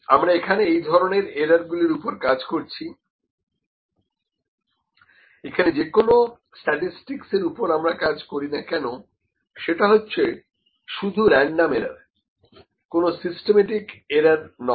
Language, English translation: Bengali, We are working on the random errors, the statistics whatever we will work on we will work on the random errors not a systematic error